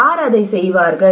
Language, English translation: Tamil, Who will do it